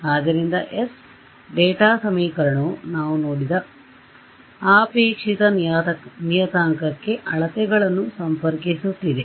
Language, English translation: Kannada, So, this data equation s is connecting the measurements to the desired parameter we have seen that